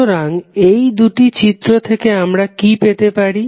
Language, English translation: Bengali, So, what we can get from these two figures